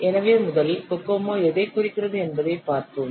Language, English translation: Tamil, So let's first see what does cocomo stands for